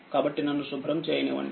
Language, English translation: Telugu, Therefore let me clear it